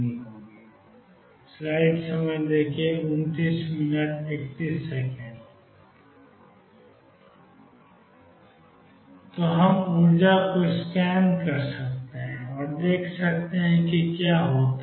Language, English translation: Hindi, So, we can scan over the energy and see what happens